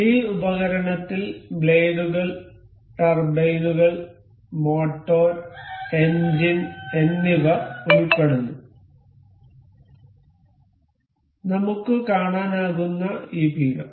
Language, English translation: Malayalam, This device includes blades, turbines, motor, engine, this pedestal we can see